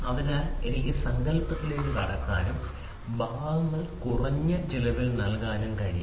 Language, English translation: Malayalam, So, so that I can get into the concept and I may give the parts in an economical manner, economical manner